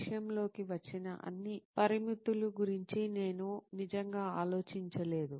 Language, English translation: Telugu, I really did not think about all the parameters that came into thing